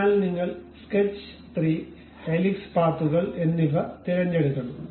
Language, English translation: Malayalam, So, you have to pick both sketch 3, and also helix paths